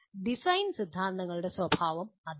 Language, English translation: Malayalam, That is the nature of design theories